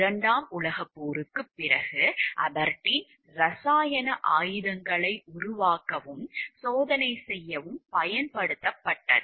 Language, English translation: Tamil, Since world war 2, Aberdeen has been used to develop and test chemical weapons